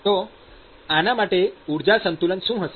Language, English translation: Gujarati, So, what is the energy balance for this